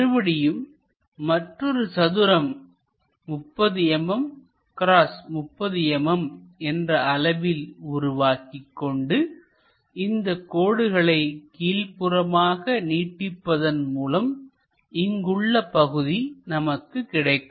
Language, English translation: Tamil, Again construct one more square 30 mm by 30 mm, in that these lines will be projected all the way down, these lines will be projected down and what we are going to see is this kind of blocks